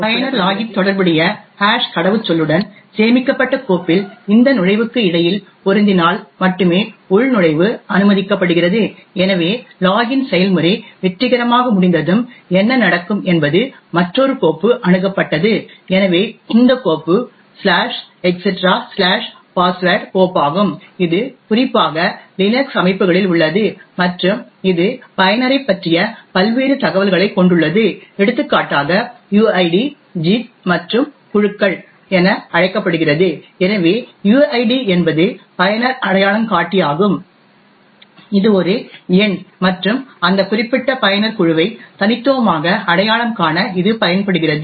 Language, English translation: Tamil, Login is permitted only if there is a match between this entry with in the stored file with the corresponding hashed password which the user enters, so once the login process successfully completes, what would happen is that another file is accessed, so this file is the /etc/password file which is present in the LINUX systems in particular and it contains various information about user, for example that is something known as the uid, gid and groups